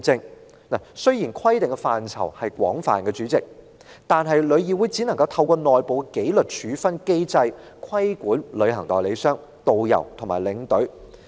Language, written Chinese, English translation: Cantonese, 代理主席，雖然規定的範疇廣泛，但旅議會只能透過內部紀律處分機制規管旅行代理商、導遊和領隊。, Deputy President while the scope of regulation is wide - ranging TIC can only regulate travel agents tourist guides and tour escorts through an internal disciplinary mechanism